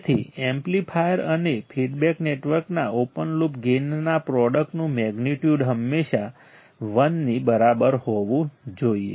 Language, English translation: Gujarati, So, magnitude of the product of open loop gain of the amplifier and the feedback network should always be equal to 1